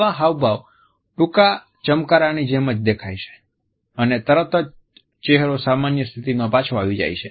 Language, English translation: Gujarati, It occurs only as a brief flash of an expression and immediately afterwards the face returns to its normal state